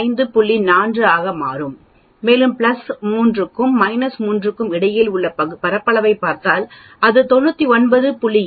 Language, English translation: Tamil, 4 and if you look at the area between spanning between plus 3 sigma and minus 3 sigma it will become 99